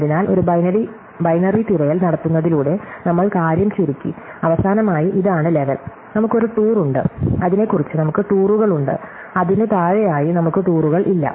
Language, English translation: Malayalam, So, by doing a binary search, we narrow down the thing and finally, weÕll find that this is the level, where we have a tour and about that, we have tours and below that, we do not have tours